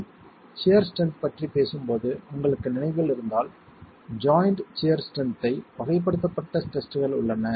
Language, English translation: Tamil, If you remember when we were talking about the sheer strength, there are tests to characterize the sheer strength of the joint